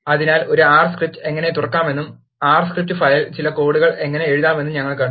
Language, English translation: Malayalam, So now, we have seen how to open an R script and how to write some code in the R script file